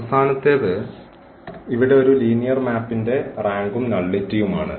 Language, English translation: Malayalam, Last one here the rank and the nullity of a linear map